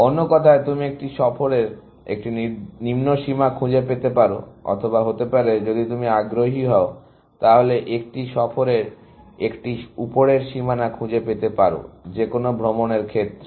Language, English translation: Bengali, words, can you find a lower bound of a tour, or maybe, if you are interested, can you find a upper bound of a tour; any tour